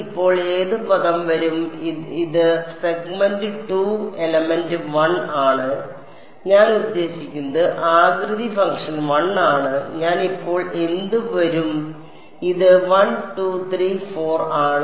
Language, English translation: Malayalam, k squared, what term will come now this is segment 2 element 1; I mean shape function 1, what will I come now so, this is 1 2 3 4